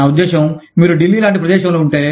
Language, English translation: Telugu, I mean, if you are in a place like Delhi